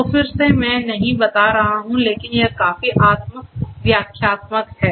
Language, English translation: Hindi, So, again I am not going to go through, but this is quite self explanatory